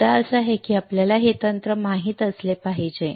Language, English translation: Marathi, The point is that we should know this technique